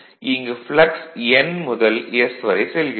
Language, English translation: Tamil, So, this is actually and this is the from N to S